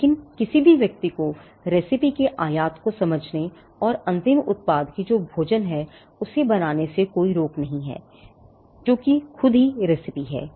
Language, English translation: Hindi, But nothing stops a person from understanding the import of the recipe and creating the end product which is the food itself the recipe itself on their own